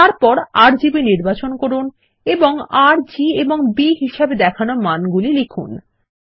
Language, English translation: Bengali, Then, select RGB and enter the values for R, G and B as shown